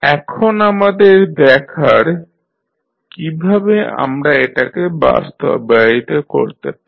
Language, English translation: Bengali, Now, let us see how we will implement it